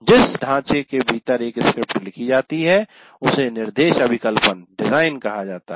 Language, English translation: Hindi, And the framework within which a script is written is called instruction design